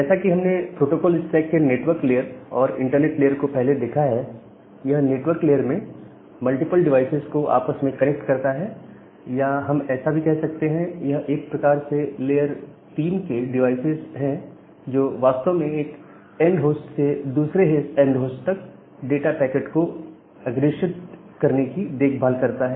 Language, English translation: Hindi, So, as I looked earlier that this network layer or the internet layer of the protocol stack, it interconnects multiple devices in the network or we call that they are kind of the layer 3 devices; which actually take care of to forwarding the data packets from one end host to another end host